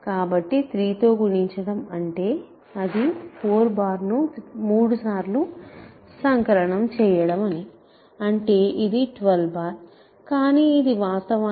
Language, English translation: Telugu, So, multiplying by 3 means it is adding 4 bar 3 times to itself this is 12 bar which is actually 0 bar